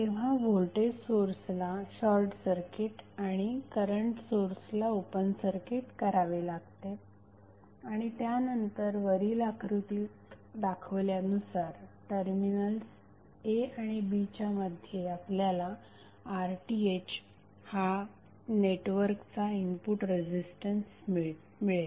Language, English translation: Marathi, As we just discussed that voltage source would be short circuited and current source will be open circuited and then R Th is the input resistance of the network looking between the terminals a and b that was shown in the previous figure